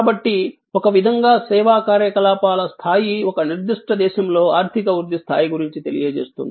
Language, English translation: Telugu, So, in a way the level of service activity can tell us about the level of economy growth in a particular country